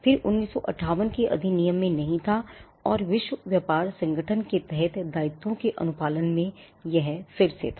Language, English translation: Hindi, This was not there in the 1958 act and this was again in compliance of the obligations under the world trade organization